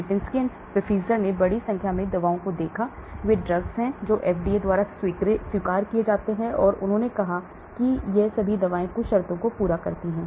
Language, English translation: Hindi, Lipinski and his co workers at Pfizer looked at a large number of drugs, that is drugs which have sort of accepted by FDA and passed the FDA, and so they picked up and they said all these drugs satisfy certain conditions